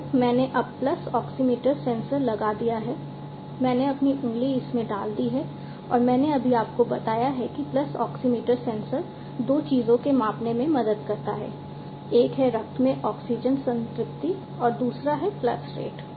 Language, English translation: Hindi, So, I have now put the pulse oximeter sensor put my finger into it and I just told you that the pulse oximeter sensor helps in measuring two things one is the oxygen saturation in the blood and the other one is the pulse rate